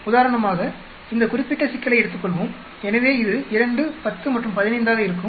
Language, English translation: Tamil, For example, let us take this particular problem, so it will be 2, 10 and 15